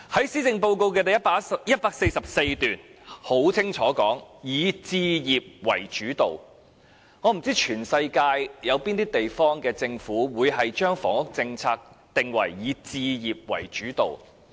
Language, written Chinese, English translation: Cantonese, 施政報告第144段清楚寫明，房屋政策"以置業為主導"，我不知道全世界有哪些地方的政府會將房屋政策定為"以置業為主導"。, It is clearly stated in paragraph 144 of the Policy Address that the Government will focus on home ownership . I do not know which government in the world would focus its housing policy on home ownership